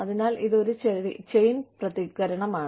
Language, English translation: Malayalam, So, it is a chain reaction